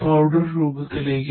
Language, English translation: Malayalam, Into the powder